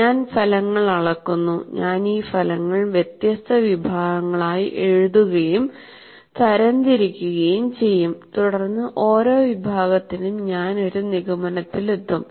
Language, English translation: Malayalam, I'm measuring the results and I'll write, classify these results into different categories and then for each category I come to a conclusion